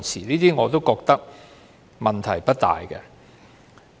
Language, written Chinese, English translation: Cantonese, 這些條文我覺得問題也不大。, I do not find these clauses much of a problem